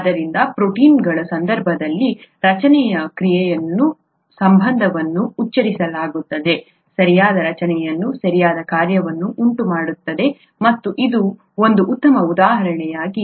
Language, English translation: Kannada, So the structure function relationship is so pronounced in the case of proteins, a proper structure is what results in proper function and this is a very nice example of that